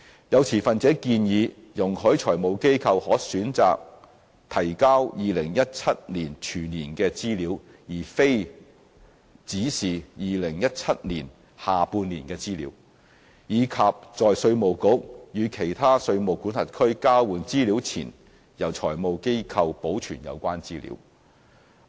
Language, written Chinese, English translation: Cantonese, 有持份者建議容許財務機構可選擇提交2017年全年的資料，而非只是2017年下半年的資料，以及在稅務局與其他稅務管轄區交換資料前，由財務機構保存有關資料。, Some stakeholders have suggested that FIs should be allowed an option to submit full - year data for 2017 instead of data for the second half of 2017 only and that the relevant data should be kept by FIs before the Inland Revenue Department IRD exchanges information with other jurisdictions